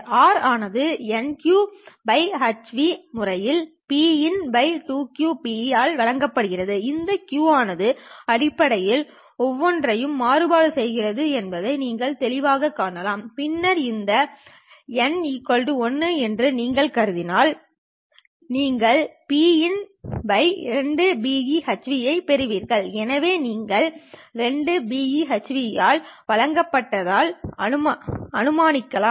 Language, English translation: Tamil, R itself is given by eta q by h new times p in divided by 2 q b e you can clearly see that this q basically cancels with each of that and then if you assume that this eta is equal to 1 you get p in by 2 b e h new so you can assume that this is given by 2 B